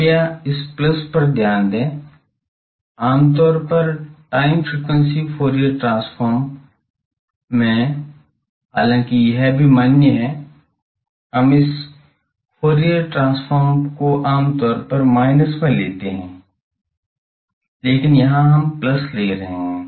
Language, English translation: Hindi, Please note this plus, generally in time frequency Fourier transform generally, though this is also valid that we generally take this as the Fourier transform we take as minus, but here we are taking plus